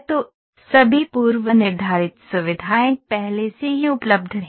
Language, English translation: Hindi, So, it all predefined features are already available